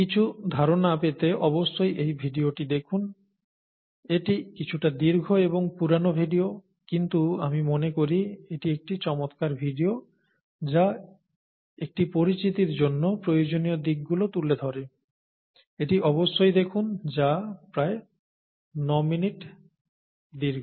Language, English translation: Bengali, Please take a look at this video to get some idea, it’s a slightly longish and an old video, but I think it’s a nice video which gets to all the which touches upon all the necessary aspects for an introductory kind of an exposure, please take a look at that, it’s about 9 minutes long